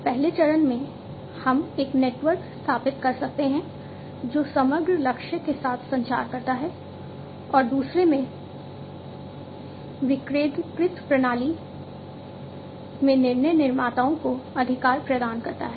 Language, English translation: Hindi, In the first step, we can establish a network which communicates with the overall target, and in the second, providing authority to decision makers in a decentralized system